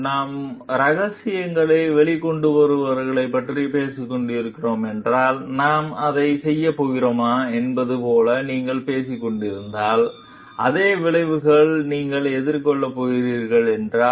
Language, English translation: Tamil, Then if we are talking of whistle blower, if you are talking of like whether we are going to do it, then if you are going to face the same consequences